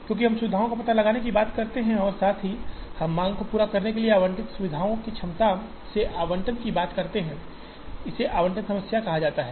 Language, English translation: Hindi, Because, we talk of locating facilities as well as we talk of allocating from the capacity of these facilities allocating to meet the demand, it is called allocation problem